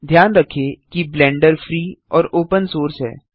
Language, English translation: Hindi, Do note that Blender is free and open source